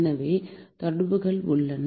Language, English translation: Tamil, There are some correlations